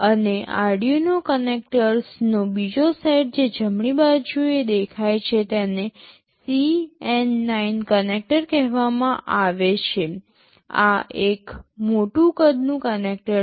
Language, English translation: Gujarati, And, the second set of Arduino connectors that appears on the right side is called CN9 connector, this is a larger sized connector